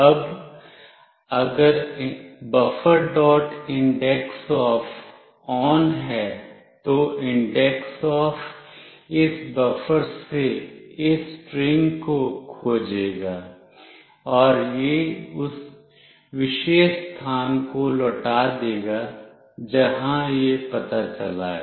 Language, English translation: Hindi, indexOf is ON, indexOf will search for this string from this buffer, and it will return that particular location where it has found out